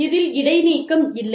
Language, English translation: Tamil, There is no suspension